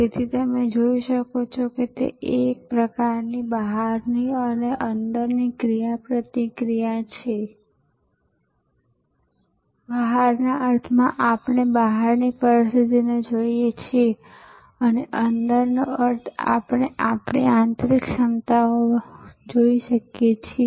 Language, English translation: Gujarati, So, you can see therefore, it is kind of an outside in and inside out interactive process, outside in means we look at outside situation and inside out means, we look at our internal competencies, etc